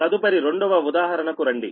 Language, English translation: Telugu, then come to the second examples